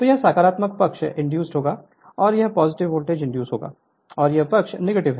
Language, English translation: Hindi, So, this will be positive side induced and this will be the your positive voltage will induced and this side is negative right